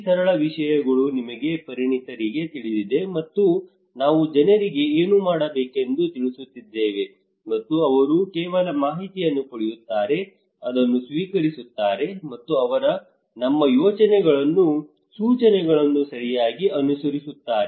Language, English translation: Kannada, These simple things that we experts know everything and we are passing telling the people what to do and they just get the informations, receive it, and they will follow our instructions okay